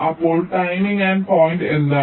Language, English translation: Malayalam, so what is the timing endpoints